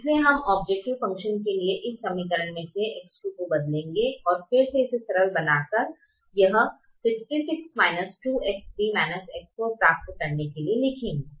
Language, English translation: Hindi, so we go back and substitute for x two from this equation into the objective function and rewrite it and simplify it to get sixty six minus two, x three minus x four